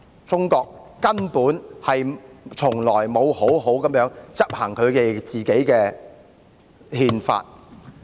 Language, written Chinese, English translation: Cantonese, 中國根本從來沒有好好執行自己的憲法。, China has never properly implemented its Constitution